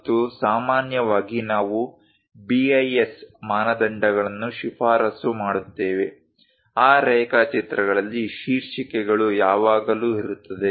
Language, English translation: Kannada, And usually, we recommend BIS standards; in that drawings and title, always be there